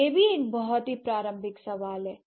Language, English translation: Hindi, That is also very relevant question, right